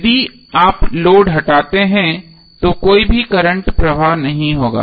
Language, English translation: Hindi, So if you remove these the load, no current will be flowing